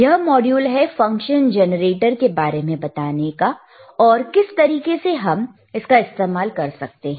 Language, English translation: Hindi, tThe module is to understand that what is function generator is and how we can use it, all right